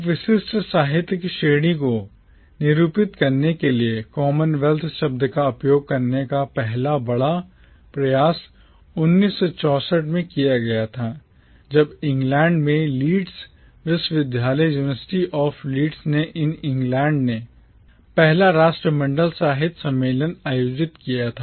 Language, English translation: Hindi, The first major attempt to use the term commonwealth to denote a specific literary category was made in 1964 when the University of Leeds in England organised what was called the first Commonwealth Literature Conference